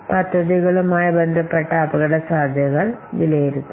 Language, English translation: Malayalam, Then we have to assess the risks involved with the projects